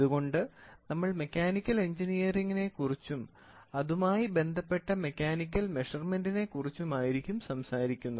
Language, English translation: Malayalam, So, that is why we are talking about mechanical engineering and mechanical measurements